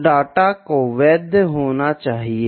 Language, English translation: Hindi, So, the data has to be valid